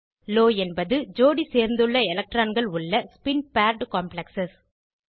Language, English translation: Tamil, Low means spin paired complexes where electrons are paired up